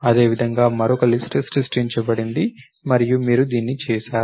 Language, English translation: Telugu, Similarly, that is done another list is created and you have done this